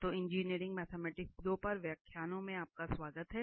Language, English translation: Hindi, So, welcome back to lectures on Engineering Mathematics 2